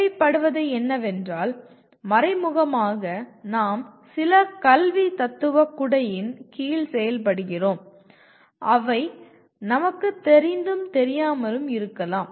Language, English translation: Tamil, All that is necessary is that implicitly we may be operating in under some umbrella of some education philosophy which we may or may not be aware of